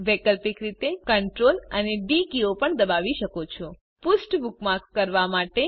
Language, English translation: Gujarati, * Alternately, you can also press the CTRL and D keys * To bookmark the page